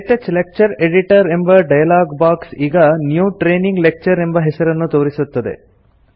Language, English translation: Kannada, The KTouch Lecture Editor dialogue box now displays the name New Training Lecture